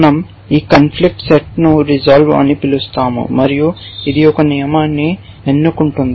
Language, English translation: Telugu, We keep this conflict set to step which is called resolve and it work it does is it select a rule